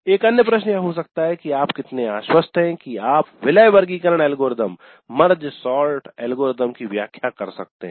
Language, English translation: Hindi, Another question can be how confident you are that you can explain MedSort algorithm